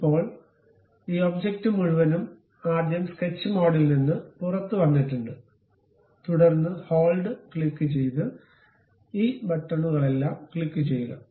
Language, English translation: Malayalam, Now, we have this entire object first come out of sketch mode, then pick click hold select, all these buttons by clicking hold